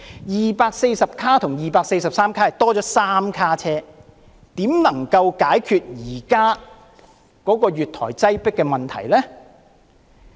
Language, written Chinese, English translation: Cantonese, 243卡相比240卡只是增加了3卡車，怎可能解決得了現時月台擠迫的問題呢？, From 240 cars to 243 cars there is only an increase of three cars . So how can it possibly solve the problem of overcrowding on platforms at present?